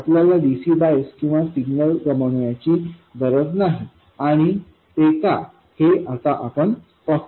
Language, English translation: Marathi, We don't have to lose either the DC bias or the signal and we will see why